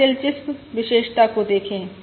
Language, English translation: Hindi, Now look at the interesting property